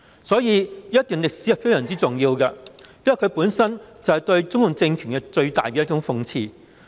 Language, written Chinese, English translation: Cantonese, 所以，這一段歷史是非常重要的，因為它本身就是對中共政權最大的諷刺。, Hence this episode in history is extremely important for this is per se the greatest irony of the CPC regime